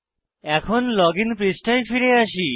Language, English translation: Bengali, Now, let us come back to our login page